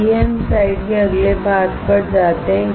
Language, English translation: Hindi, Let us go to the next part of the slide